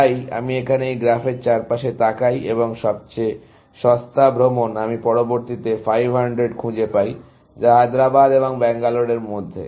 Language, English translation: Bengali, So, I look around this graph here, and the cheapest tour, I can find next is 500, which is between Hyderabad and Bangalore